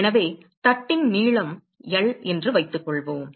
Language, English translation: Tamil, So, suppose if the length of the plate is L